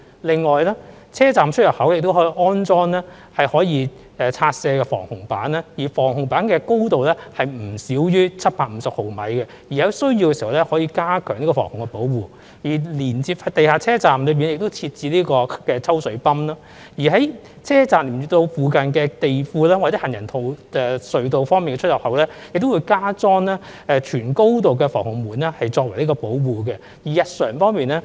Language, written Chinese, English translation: Cantonese, 另外，車站出入口亦可以安裝可拆卸式防洪板，而防洪板的高度不少於750毫米，當有需要時，防洪板可作加強防洪保護用途；設於地下的車站，亦設有抽水泵；而連接地庫或行人隧道的車站出入口，亦會加裝全高度的防洪門作為保護。, Besides station entrancesexits may also be installed with demountable flood barriers with a height of not less than 750 mm . When necessary such flood barriers can be used for enhanced flood protection . Stations which are built underground are also equipped with water bumps